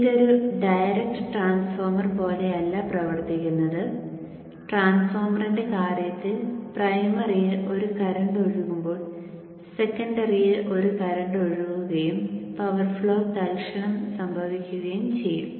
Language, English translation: Malayalam, So this is not acting like a direct transformer where in the case of transformer, there is a current flowing in the primary, there will be a current flowing in the secondary and power flow will be instant by instant